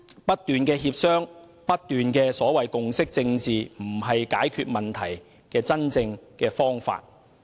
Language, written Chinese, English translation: Cantonese, 不斷協商和共識政治並非解決問題的真正方法。, Relying on continuous discussion and consensus politics is not a real solution